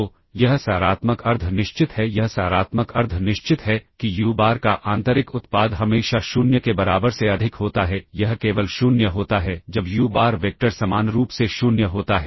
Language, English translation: Hindi, So, it is positive semi definite it is positive semi definite that is uBar inner product of uBar with itself is always greater than equal to 0 it is 0 only when uBar the vector is identically 0 all right